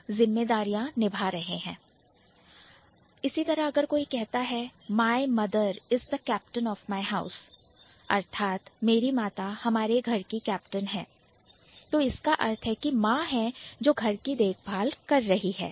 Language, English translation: Hindi, If she says, my mother is the captain of my house, so that means the mother is the one who is taking care of the house